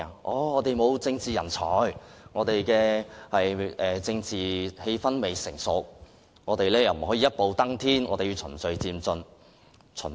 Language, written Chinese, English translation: Cantonese, 他們說我們沒有政治人才，政治氣氛亦未成熟，不能一步登天，必須循序漸進。, They said that there were no political talent and the political atmosphere was immature and that we could not reach the goal in one step and had to move in an orderly and gradual manner